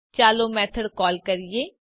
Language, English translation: Gujarati, Let us call the method